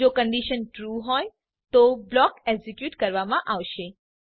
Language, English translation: Gujarati, If the condition is true then the for block will be executed